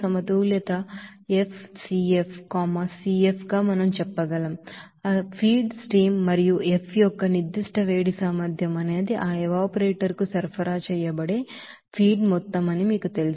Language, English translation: Telugu, So we can say simply that this heat balance as FCF, CF is the you know that specific heat capacity of that feed stream and F is the amount of feed which is supplied to that evaporator